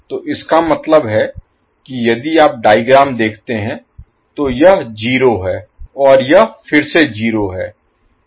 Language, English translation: Hindi, So that means if you see the figure this is 0 and this is again 0